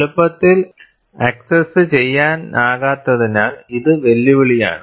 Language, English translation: Malayalam, It is challenging, as it is not easily accessible